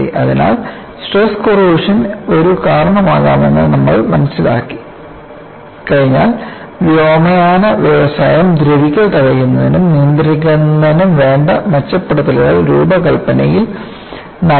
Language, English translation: Malayalam, So, once you have understood thestress corrosion could be a cause, aviation industry improved the design for corrosion prevention and control